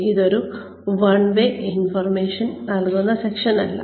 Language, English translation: Malayalam, This is not, a one way information giving session